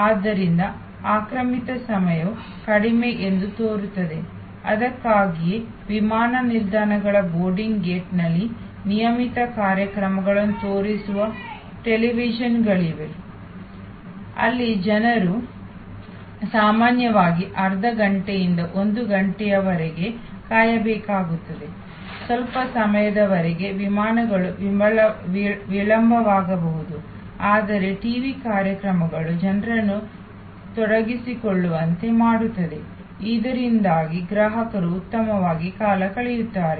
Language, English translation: Kannada, So, occupied time appears to be shorter; that is why there are televisions showing regular programs at boarding gate of airports, where typically people have to wait for half an hour to one hour, some time the flights may be delayed, but the TV shows keep people engaged, so that occupied customers feel better